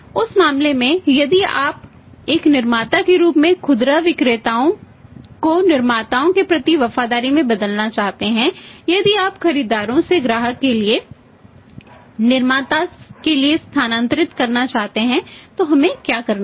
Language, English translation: Hindi, In that case now if you want to change as a manufacturer the retailers loyalty towards manufacturers if you want to shifted from the buyers to the customer to the manufacturer then what we have to do then what we have to do